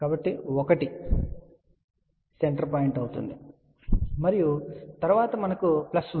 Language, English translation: Telugu, So, 1 will be the center point and then we have a plus